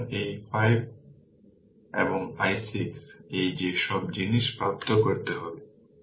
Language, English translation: Bengali, So, this is i 5 and i 6 that all this things, you have to obtain